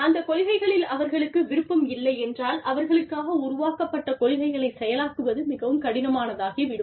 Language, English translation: Tamil, If their consent is not there, then it becomes very difficult to implement policies, that are being made for them